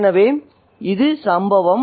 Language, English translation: Tamil, So, this is the incident